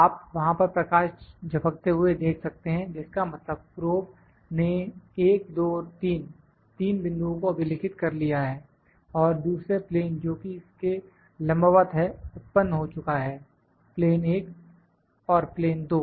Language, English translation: Hindi, You can see the light blinking there is blinking that is the probe has touched 1, 2, 3; 3 points are recorded and the second plane which is perpendicular to this one is generated plane, 1 and plane 2